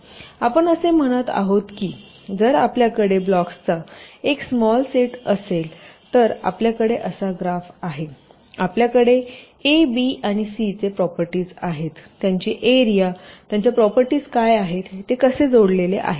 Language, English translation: Marathi, ok, so what we saying is that if we have a small set of blocks, we have a graph like this, we have the properties of a, b and c, what are their areas and their properties, how they are connected